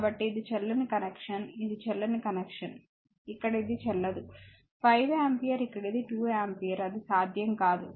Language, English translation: Telugu, So, this is invalid connection this is invalid connection here it is invalid 5 ampere here it is 2 ampere it is not possible